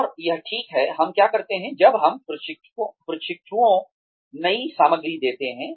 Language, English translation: Hindi, And, that is precisely, what we do, when we give trainees, new material